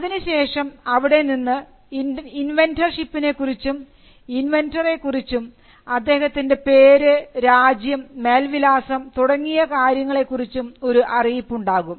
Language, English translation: Malayalam, Then, there has to be a declaration, with regard to inventor ship, as to who the inventor is; the name, nationality, and address of the inventor